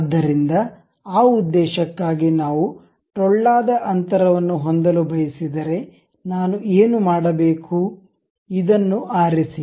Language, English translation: Kannada, So, for that purpose, if we would like to have a hollow gap, what I have to do, pick this one